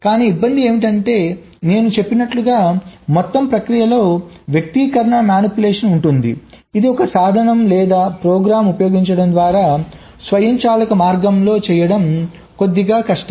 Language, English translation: Telugu, but the trouble is that, as i said, the entire process consists of manipulation of expressions, which is a little difficult to do in an automated way by using a tool or a program